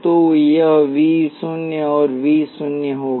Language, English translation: Hindi, So, this is V naught this will be V naught